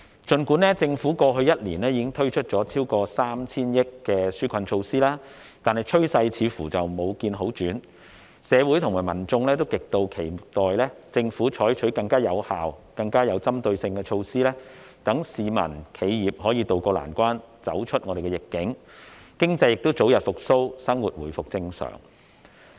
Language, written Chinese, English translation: Cantonese, 儘管政府過去1年已經推出超過 3,000 億元的紓困措施，但趨勢似乎未見好轉，社會和民眾都極期待政府採取更有效、更有針對性的措施，讓市民和企業可以渡過難關，走出疫境，經濟早日復蘇，生活回復正常。, Even though the Government has introduced relief measures worth over 300 billion over the past year it seems that we have yet to see a positive trend . Members of the community all eagerly expect that the Government will adopt more effective and targeted measures to tide people and businesses over this difficult period and emerge from the pandemic so that the economy can recover early and life can return to normal